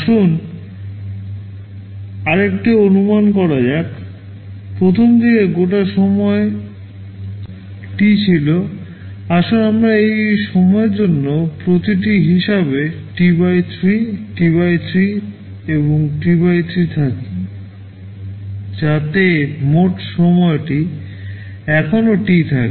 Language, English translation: Bengali, Let us make another assumption; the total time early was T, let us say for each of these time is T/3, T/3 and T/3, so that the total time still remains T